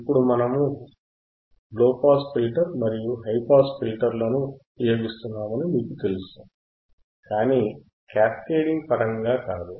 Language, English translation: Telugu, And now you know that, we are using the low pass filter and high pass filter, but not in terms of cascading